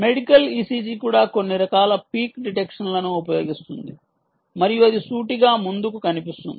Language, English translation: Telugu, e c g also uses some form of peak detection and that appears to be straight forward